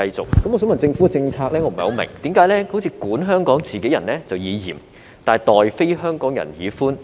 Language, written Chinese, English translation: Cantonese, 我不太明白，想問政府的政策為何好像管香港自己人就以嚴，待非香港人則以寬？, I cannot get my head around it . May I ask why the Governments policy seems to be strict in governing fellow Hong Kong people but lenient in treating non - HKRs?